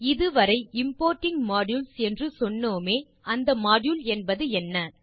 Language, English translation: Tamil, Until now we have been learning about importing modules, now what is a module